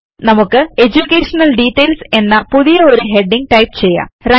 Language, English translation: Malayalam, Lets type a new heading as EDUCATION DETAILS